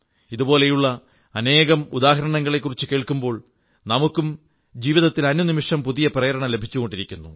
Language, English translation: Malayalam, When we come to know of such examples, we too feel inspired every moment of our life